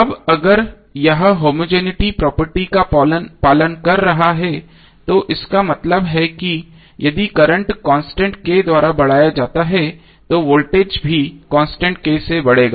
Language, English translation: Hindi, Now if it is following the homogeneity property it means that if current is increased by constant K, then voltage also be increased by constant K